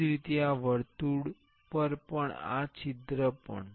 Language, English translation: Gujarati, Similarly, on this circle also this hole also